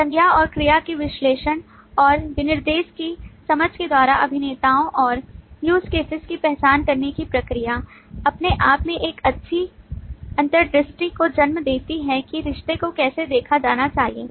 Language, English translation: Hindi, The process of identification of actors and use cases by analysis of noun and verb and the understanding of the specification will by itself give rise to a good insight into how the relationship should be looked at